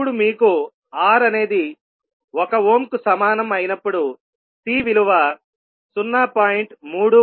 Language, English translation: Telugu, Now when you have R is equal to 1 ohm then C will be 0